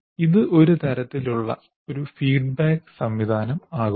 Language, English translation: Malayalam, So there is a kind of a feedback mechanism here